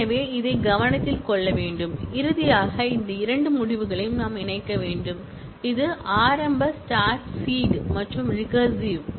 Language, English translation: Tamil, So, that is to be noted and finally, we need to connect these two results, which is the initial start seed and the recursive one